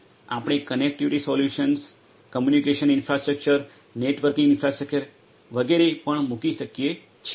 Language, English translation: Gujarati, We can also place the connectivity solutions, the communication infrastructure, networking infrastructure and so on